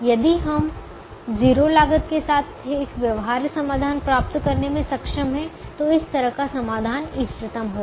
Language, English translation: Hindi, if we are able to get a feasible solution with zero cost, then such a solution has to be optimum